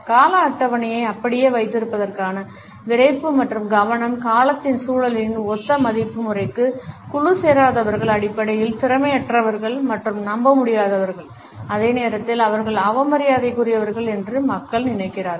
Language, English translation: Tamil, The rigidity and the focus to keep the schedules intact conditions, people to think that those people who do not subscribe to similar value system in the context of time are basically inefficient and unreliable and at the same time they are rather disrespectful